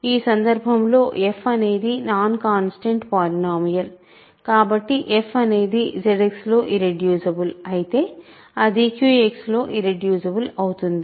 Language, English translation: Telugu, In this case f is a non constant polynomial, so if f is irreducible in Z X it would be irreducible in Q X